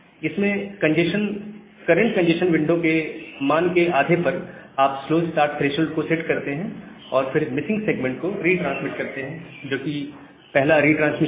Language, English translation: Hindi, So, what happens in fast recovery, that you set the slow start threshold to one half of the current congestion window, retransmit the missing segment that is the first retransmit